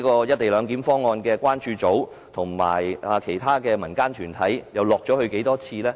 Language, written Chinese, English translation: Cantonese, "一地兩檢"關注組和其他民間團體又曾落區多少次？, How many times have the Co - location Concern Group and other community groups visited the districts?